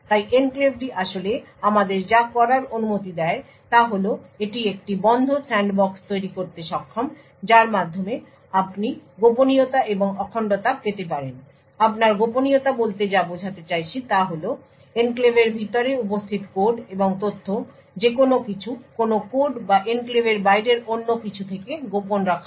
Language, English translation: Bengali, So what the enclave actually permits us to do is that it would it is able to create a closed sandbox through which you could get confidentiality and integrity so what we mean by confidentiality is that the code and data present inside the enclave is kept confidential with respect to anything or any code or anything else outside the enclave